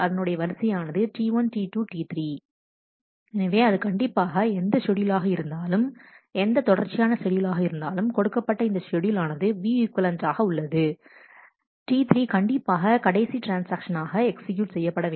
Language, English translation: Tamil, So, it must whatever schedule this whatever serial schedule this given schedule S has to be view equivalent to must have T 3 as the last transaction to execute